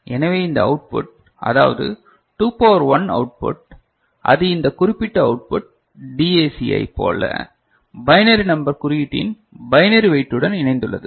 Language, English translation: Tamil, So, we can see that this output which is 2 to the power 1 output, we are mentioning is just to associate with the binary weight of that particular output ok, in a binary number representation the way we have done for DAC